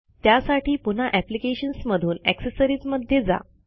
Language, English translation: Marathi, For that go back to Applications and then go to Accessories